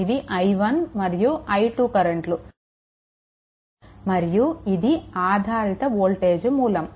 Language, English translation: Telugu, And you have i 1 and i 2 and this is a this is a dependent voltage source